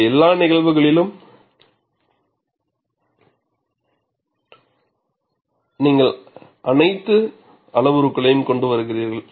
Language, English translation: Tamil, In all these cases, you bring in all the parameters